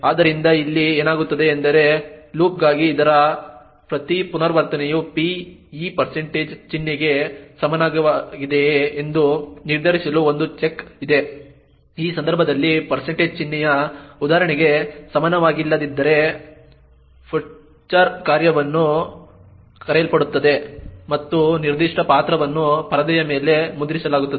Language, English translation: Kannada, So, what happens here is that which each iteration of this for loop there is a check to determining whether p is equal to this % symbol if it is not equal to the % symbol example in this case then the putchar function gets called and that particular character gets printed on the screen